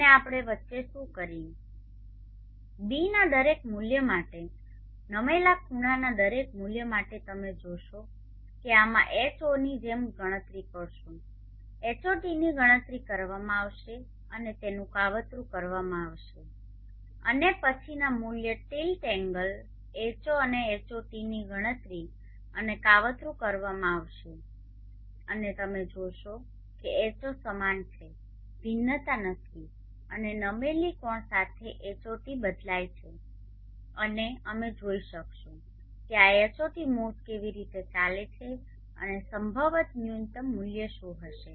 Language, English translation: Gujarati, And what we do in between for every value of ß every value of the tilt angles you will see although this I calculated as before H0 will be calculated HOT will be calculated and it will be plotted and then the next value of tilt angle H0 and HOT will be calculated and plotted and you will see that H0 is same does not vary and HOT will vary with the tilt angle and we will be able to see how this HOT moves and what would probably be the minimum value